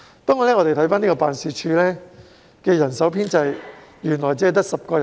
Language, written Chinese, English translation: Cantonese, 不過，大家也看到，辦事處的人手編制只有10人而已。, However as everyone can see the Office only has an establishment of 10